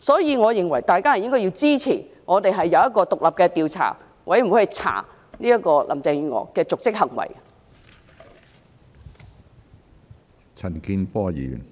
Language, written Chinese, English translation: Cantonese, 有鑒於此，大家應該支持成立獨立調查委員會，調查林鄭月娥的瀆職行為。, For these reasons Honourable Members should support the forming of an independent investigation committee to investigate the dereliction of duty of Carrie LAM